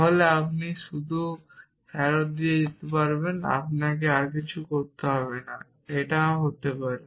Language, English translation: Bengali, Then you can just return theta you do not have to do anything else it could be the case